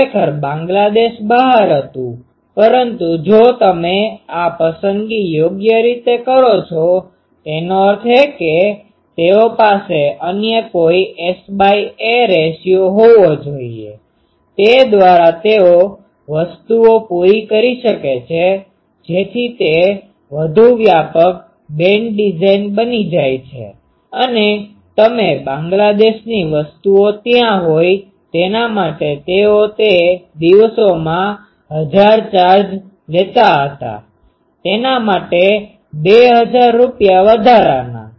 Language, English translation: Gujarati, Actually, Bangladesh was outside, but if you do proper these selection; that means, they is to have some other S by ‘a’ ratio, by that they could cater to the things so that it becomes a more broad band design and you Bangladesh things are there, for that they used to charge in those days 1000, 2000 rupees extra for that